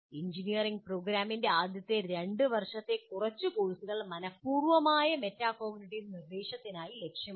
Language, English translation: Malayalam, A few courses in the first two years of engineering program should be targeted for a deliberate metacognitive instruction